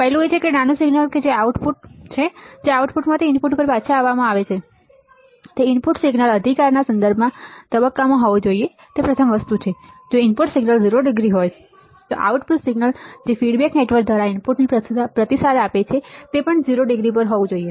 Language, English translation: Gujarati, The first one is that the small signal which is the output which is fed from the output back to the input, should be in phase with respect to the input signal right that is first thing that is the if the input signal is 0 degree, the output signal which is feedback to the input through the feedback network should also be at 0 degree